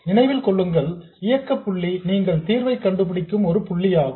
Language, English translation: Tamil, Remember, operating point is some point for which you find the solution